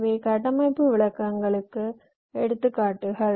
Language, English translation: Tamil, these are examples of structural descriptions